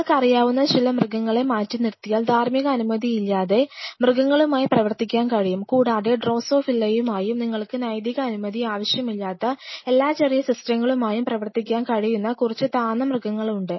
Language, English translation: Malayalam, Barring aside some animals like you know, it can work with fishes without any ethical clearances and there are few lower animals you can work with possibly drosophila and all those small systems where you do not need a ethical clearances